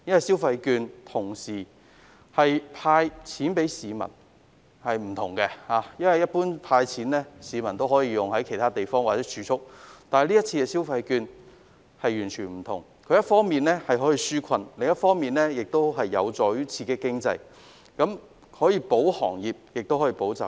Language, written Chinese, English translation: Cantonese, 消費券有別於向市民"派錢"，在政府"派錢"後，市民可把金錢用於其他地方或儲蓄，但這次的消費券完全不同，一方面可以紓困，另一方面有助於刺激經濟，繼而保行業和保就業。, Issuing consumption vouchers is different from handing out cash to members of the public . After the Government handed out cash people may either spend or save the money . Unlike cash handouts consumption vouchers can provide relief on the one hand and on the other hand help boost the economy thereby bailing out industries and supporting employment